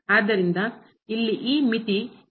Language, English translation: Kannada, And therefore, the limit does not exist